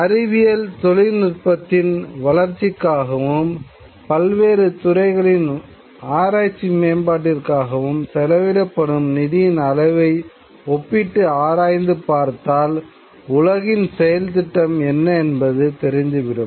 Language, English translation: Tamil, If we look at a kind of a comparative analysis of the amount of money that is devoted to development of science and technology towards research and development in various fields, it will show what the agenda of the world is